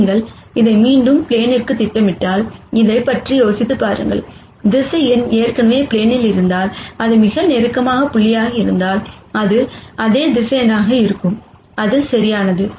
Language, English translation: Tamil, Think about this if you keep projecting it back to the plane, if this is the closest point if the vector is already in the plane, it would be the same vector that is also the prod uct right